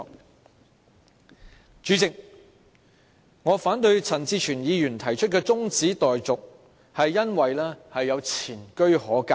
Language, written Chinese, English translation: Cantonese, 代理主席，我反對陳志全議員提出的中止待續議案，是因為有前車可鑒。, Deputy President the reason for my opposition to the motion for adjournment moved by Mr CHAN Chi - chuen is that we should learn from mistakes